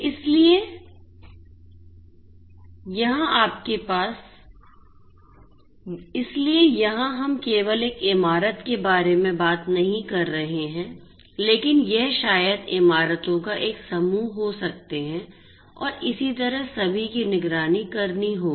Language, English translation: Hindi, So, here we are not just talking about a single building, but we are going to have maybe a cluster of buildings and so on which all will have to be monitored right